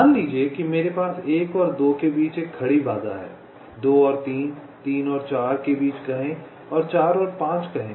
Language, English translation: Hindi, suppose we have a vertical constraint between one and two, say between two and three, three and four and say four and five